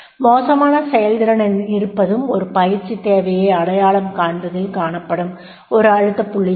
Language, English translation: Tamil, If the poor performance is there then that will be also a pressure point to identify the training need